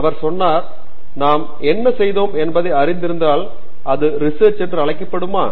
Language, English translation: Tamil, He said, if we knew what we were doing, it would not be called research, would it